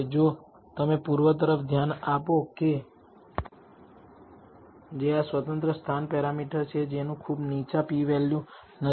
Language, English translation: Gujarati, If you look at the east which is this independent location parameter that as does not have a very low p value